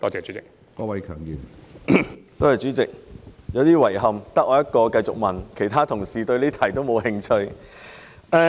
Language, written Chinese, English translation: Cantonese, 主席，我感到有點遺憾，因為只有我一人繼續提問，其他同事對這項質詢沒有興趣。, President I feel a bit sorry because I am the only one here to raise further questions . Other colleagues are not interested in this question